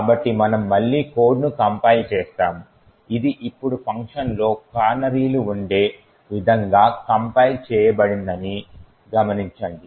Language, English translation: Telugu, So, we would compile the code again, notice that it is compiled now such that, canaries would be present in the functions